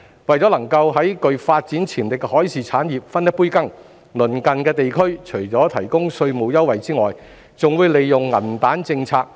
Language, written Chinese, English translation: Cantonese, 為能夠在具發展潛力的海事產業分一杯羹，鄰近地區除提供稅務優惠外，還會利用"銀彈"政策。, To get a share in the maritime industry which is full of development potential our neighbours have used money power in addition to providing tax concessions